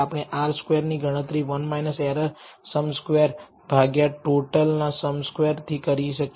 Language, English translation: Gujarati, We can compute R squared as 1 minus sum squared error by sum squared total